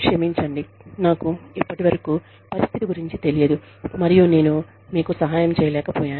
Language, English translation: Telugu, I am sorry, i was not aware of the situation, till now, and i could not help you